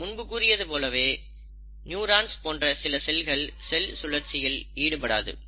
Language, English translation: Tamil, So, there are certain cells which will not undergo cell cycle